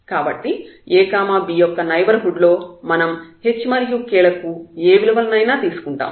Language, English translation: Telugu, So, this is a neighborhood because h and k can take any value